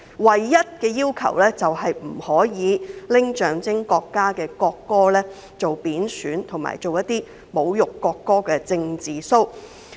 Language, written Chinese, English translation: Cantonese, 唯一的規限是不能對象徵國家的國歌作出貶損或具侮辱性的"政治騷"。, The only restriction is that the national anthem which symbolizes the country must not be derogated or insulted in order to put on a political show